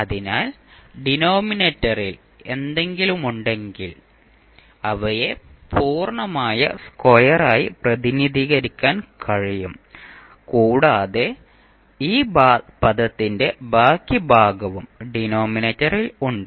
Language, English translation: Malayalam, So, whatever we have in the denominator, we can represent them as set of complete square plus remainder of the term which are there in the denominator